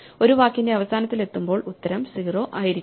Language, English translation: Malayalam, So, when we reach the end of one of the words say answer must be 0